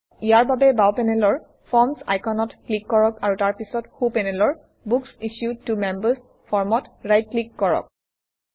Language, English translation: Assamese, To do this, let us click on the Forms icon on the left panel and then right click on the Books Issued to Members form on the right panel, and then click on Edit